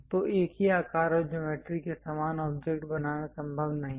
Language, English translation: Hindi, So, its not precisely possible to make the same object of same size and geometry